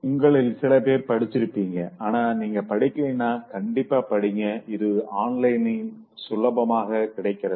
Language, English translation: Tamil, Some of you might have read this but if you have not read this, so you read this, it's available online easily